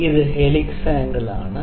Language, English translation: Malayalam, So, this is helix angle